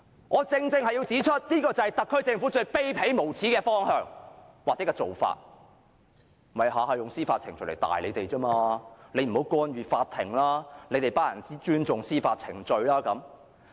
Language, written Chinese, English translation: Cantonese, 我正正要指出，這便是特區政府最卑鄙、無耻的方向或做法，便是每每用司法程序來嚇唬大家，不要干預法庭、要尊重司法程序等。, I have to point out that this is precisely the most despicable and shameless direction and approach adopted by the SAR Government . It often scares the public with legal proceedings telling them not to interfere with the court and asking them to respect the legal proceedings etc